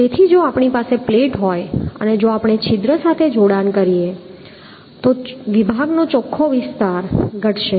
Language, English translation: Gujarati, So if we have a plate and if we make a connection with a hole, then the net area of the section is going to be reduced